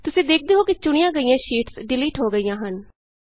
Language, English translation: Punjabi, You see that the selected sheets get deleted